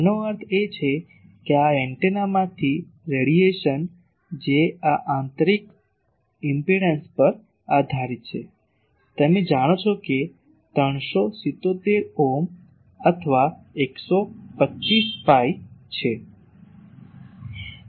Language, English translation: Gujarati, So, this is the expression so the power flow; that means, the radiation from this antenna that depends on this intrinsic impedance you know it is see 377 ohm or 125 pi